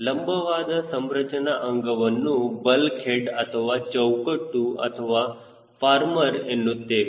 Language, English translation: Kannada, the vertical structural members, also called as bulk heads or frames, or farmers